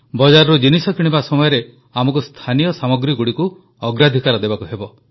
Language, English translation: Odia, While purchasing items from the market, we have to accord priority to local products